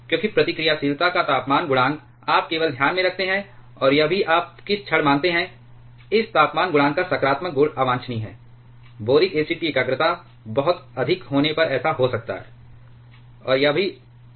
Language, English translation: Hindi, Because temperature coefficient of reactivity you just keep in mind and also what the moment you assume that the positive value of this temperature coefficient of reactivity is undesirable; which may happen if the concentration of boric acid is too high